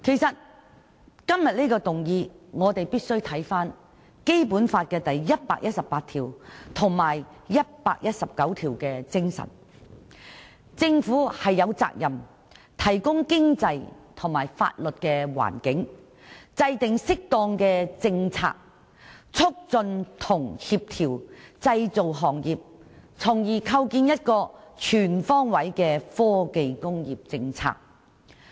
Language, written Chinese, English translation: Cantonese, 就這項議案，我們必須看看《基本法》第一百一十八條及第一百一十九條的內容，即政府有責任"提供經濟和法律環境"，"制定適當政策，促進和協調製造業"，從而訂定一個全方位的科技工業政策。, In connection with this motion we must take a look at Articles 118 and 119 of the Basic Law which provide that the Government is duty - bound to provide an economic and legal environment and formulate appropriate policies to promote and co - ordinate the development of various trades such as manufacturing so as to establish a comprehensive policy on technology industry